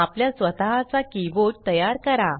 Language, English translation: Marathi, Create your own key board